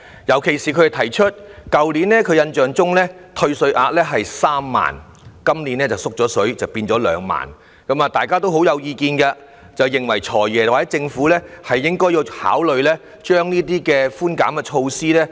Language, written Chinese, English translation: Cantonese, 尤其是去年的退稅額是3萬元，今年調低為2萬元，大家對此很有意見，認為"財爺"和政府應該考慮加強這些寬減措施。, The question is particularly asked as the concession ceiling which stood at 30,000 last year is lowered to 20,000 this year . People disagree with this holding that the Financial Secretary and the Government should consider stepping up these concession measures